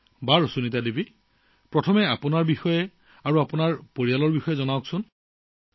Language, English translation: Assamese, Okay Sunita ji, at the outset, I wish to know about you; I want to know about your family